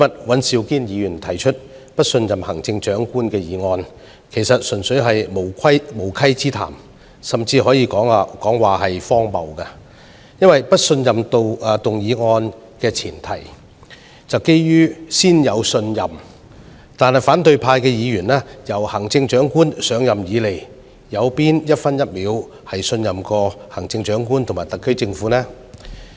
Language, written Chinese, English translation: Cantonese, 尹兆堅議員今天提出"對行政長官投不信任票"議案，其實純粹是無稽之談，甚至可說是荒謬的，因為不信任議案的大前提是要先有信任，但自行政長官上任以來，反對派議員有哪分、哪秒曾信任行政長官和特區政府呢？, The motion on Vote of no confidence in the Chief Executive proposed by Mr Andrew WAN today is simply groundless or even ridiculous because the prerequisite of a motion of no confidence is that there was confidence originally . However when have opposition Members ever had confidence in the Chief Executive and the SAR Government since the Chief Executive took office?